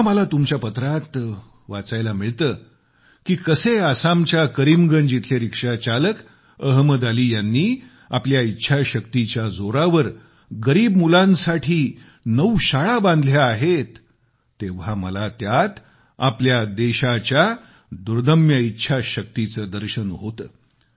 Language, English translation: Marathi, When I get to read in your letters how a rickshaw puller from Karimgunj in Assam, Ahmed Ali, has built nine schools for underprivileged children, I witness firsthand the indomitable willpower this country possesses